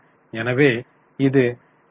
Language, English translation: Tamil, So, you are getting 0